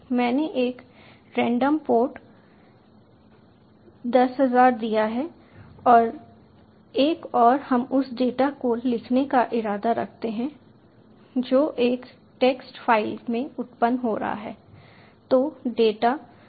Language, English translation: Hindi, i given a random port, ten thousand and one, and we intend to write the data which is being generated into a text file